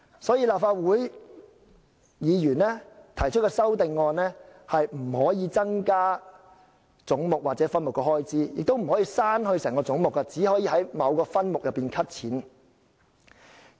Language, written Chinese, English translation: Cantonese, 所以，立法會議員提出的修正案既不能增加總目或分目的開支，亦不能刪去整個總目，只能提出在某分目中削減開支。, For this reason in their amendments Legislative Council Members can neither propose any increase in the expenditure under any heads or subheads nor delete the entire heads . Rather they can only propose to cut the expenditure under certain subheads